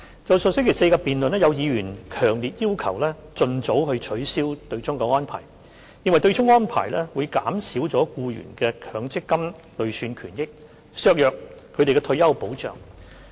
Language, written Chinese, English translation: Cantonese, 在上星期四的辯論，有議員強烈要求盡早取消對沖安排，認為對沖安排會減少僱員的強積金累算權益，削弱他們的退休保障。, As regards the debate held last Thursday some Members strongly demanded the expeditious abolition of the offsetting arrangement arguing that the arrangement would reduce employees MPF accrued benefits and weaken their retirement protection